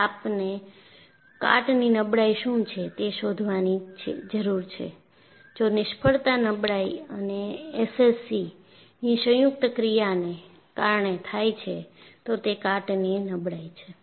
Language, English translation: Gujarati, And now, we look up what is corrosion fatigue, if failure is due to combined action of fatigue and SCC, then it is corrosion fatigue